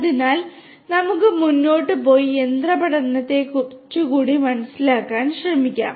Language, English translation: Malayalam, So, let us move forward and try to understand a bit more about machine learning